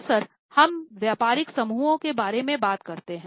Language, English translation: Hindi, Often we talk about business groups